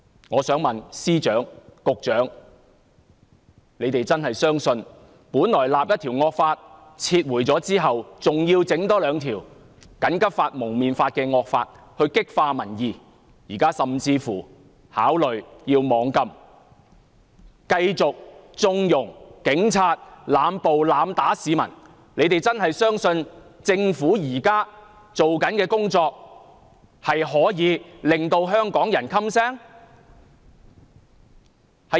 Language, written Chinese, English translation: Cantonese, 我想問司長、局長是否真的相信，政府本來訂立一項惡法，在撤回後，還要多訂立《禁止蒙面規例》這惡法來激化民憤，現在甚至考慮要"網禁"，繼續縱容警察濫捕、濫打市民，他們是否真的相信政府現在做的工作可以令香港人噤聲？, Upon the withdrawal of a draconian law which the Government initially proposed the Government introduced another draconian law the Prohibition on Face Covering Regulation to intensify the public resentment and it is now considering imposing a ban on the Internet . On the other hand it continues to condone police officers in making indiscriminate arrests and erratic beatings of people . Do they really believe that the existing practices of the Government will silence the people of Hong Kong?